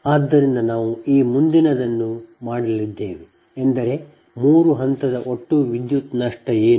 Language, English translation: Kannada, this next one is that: what is the three phase power loss